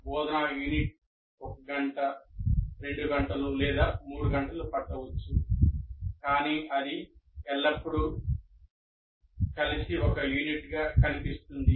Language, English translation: Telugu, So, an instructional unit may take maybe one hour, two hours or three hours, but it will be seen always as together as a unit